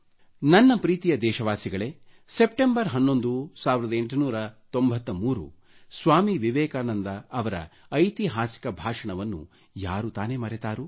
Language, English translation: Kannada, My dear countrymen, who can forget the historic speech of Swami Vivekananda delivered on September 11, 1893